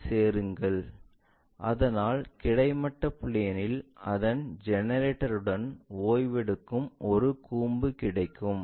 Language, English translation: Tamil, Join that, so that we got a cone resting with its generator on the horizontal plane